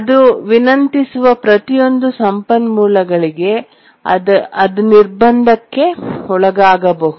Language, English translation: Kannada, So, for each of the resources it requests, it may undergo blocking